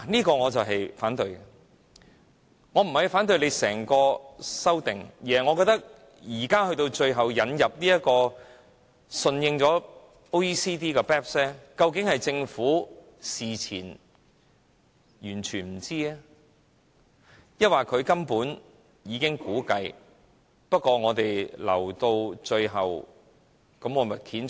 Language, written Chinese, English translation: Cantonese, 這點是我反對的，我不是反對整項修正案，而是我認為最後引入並順應 OECD 就 BEPS 的規定，究竟是政府事前全不知情，還是他們根本早有估計，但留到最後才揭盅？, This is the point that I reject . I do not mean to reject the entire legislative amendment but the decision to yield to OECDs requirements in relation to BEPS in the final stages . So did the Government really know nothing about this in advance?